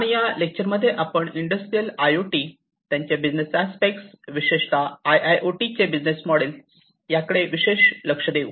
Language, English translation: Marathi, And in this lecture, we will focus specifically on Industrial IoT, the business aspects, the business models for IIoT, specifically